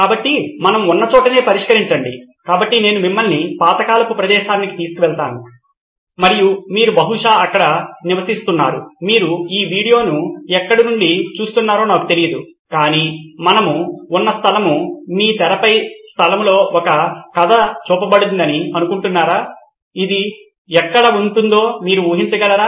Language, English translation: Telugu, So solve is where we are at, so I’m going to take you to a place far away in time and far away you probably are living there, I don’t know where you are viewing this video from, but the place that we are going to talk about a story is set in this place on your screen right now, can you take a guess where this could be